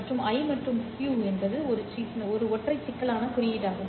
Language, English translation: Tamil, I and Q is the one single complex symbol space